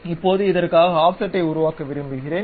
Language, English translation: Tamil, Now, I would like to construct offset for this